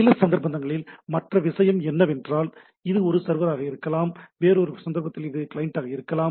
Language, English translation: Tamil, Other thing is that in some cases the, it can be a server other case it can access a client and so and so forth